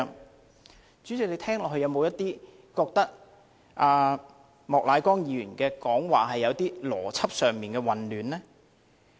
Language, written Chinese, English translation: Cantonese, 代理主席，你聽到後，有否感到莫乃光議員的發言有邏輯上的混亂呢？, Deputy President on hearing that did you have the feeling that Mr Charles Peter MOK was logically confused in his speech?